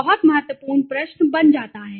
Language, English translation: Hindi, Is becomes very important question okay